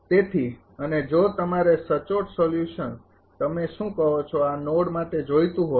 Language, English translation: Gujarati, So, and exact solution if you want then for this your what you call for this node